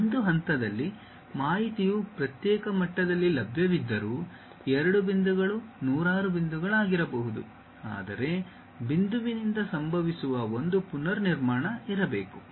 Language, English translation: Kannada, Though, information is available at discrete levels at one point, two points may be hundreds of points, but there should be a reconstruction supposed to happen from point to point